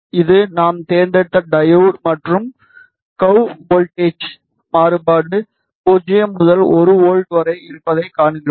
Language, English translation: Tamil, This is diode that we have selected and we see that in the curve the voltage variation is from 0 to 1 volt